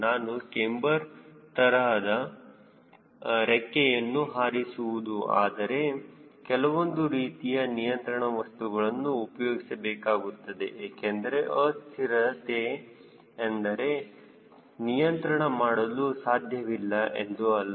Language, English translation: Kannada, also, if i want to fly a cambered type of this, then of course you need to use some sort of a control system, because i understand that unstable doesnt mean uncontrollable, right